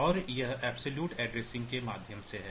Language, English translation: Hindi, So, that is by means of absolute addressing